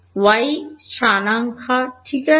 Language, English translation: Bengali, y coordinate ok